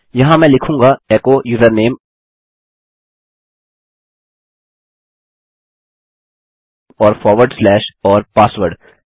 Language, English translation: Hindi, Here I will say echo the username and forward slash and password